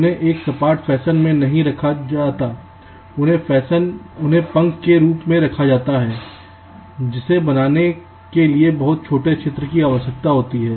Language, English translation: Hindi, now they are not laid out in a flat fashion but they are laid out as fins which require much smaller area to fabricate